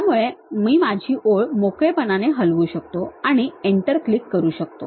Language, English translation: Marathi, So, I can just freely move my line and click that Enter